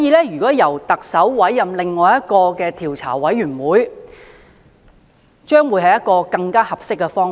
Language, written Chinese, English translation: Cantonese, 因此，由特首委任另一個調查委員會將會是更合適的方法。, The appointment of another commission of inquiry by the Chief Executive is hence more preferable